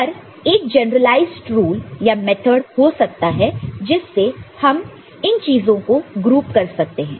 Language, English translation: Hindi, But, can you have a generalized rule or method by which we can group these things